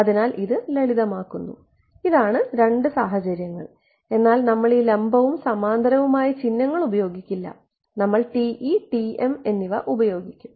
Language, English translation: Malayalam, So, it makes life simple also this is the two cases, but we will not use this perpendicular and parallel notation, we will just use TE TM ok